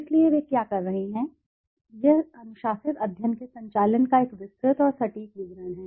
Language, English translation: Hindi, So what are they saying, it is a detailed and accurate account of the conduct of disciplined studies